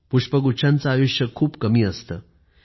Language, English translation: Marathi, And the life span of a bouquet is very short